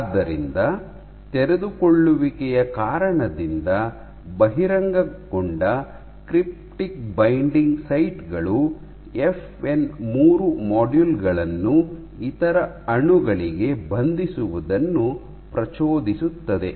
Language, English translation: Kannada, So, exposure of cryptic binding sites via unfolding triggers binding of FN 3 modules to other molecules, ok